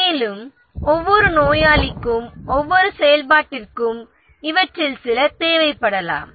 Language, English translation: Tamil, And for each activity, for each patient they might need some of these